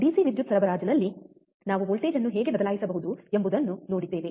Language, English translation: Kannada, In DC power supply we have seen how we can change the voltage, right